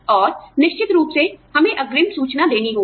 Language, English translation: Hindi, And, you know, of course, we have to give, advance notice